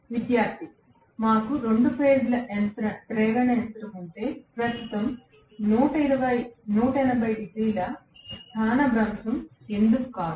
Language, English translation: Telugu, Student: If we have a two phase induction machine, why isn’t the current displaced by 180 degrees